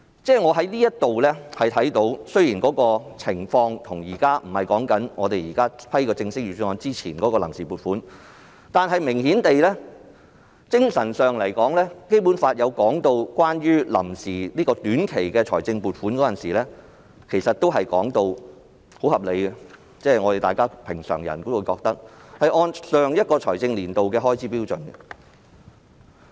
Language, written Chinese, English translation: Cantonese, "由此可見，雖然現在的情況不是審批正式的預算案而是臨時撥款，但顯然在精神上，《基本法》也就臨時短期撥款訂定了很合理的安排，規定須按常人認同的做法，依循上一財政年度的開支標準行事。, It can thus be seen that although we are currently not deliberating on the Budget introduced by the Government but the Vote on Account Resolution the Basic Law has laid down very reasonable arrangements for seeking provisional short - term appropriations in essence which requires that a commonly accepted approach should be adopted for seeking such appropriations which is based on the level of expenditure of the previous fiscal year